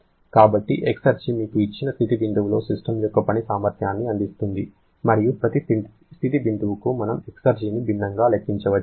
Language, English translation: Telugu, So, exergy gives you the work potential of a system at a given state point and for every state point we can calculate exergy differently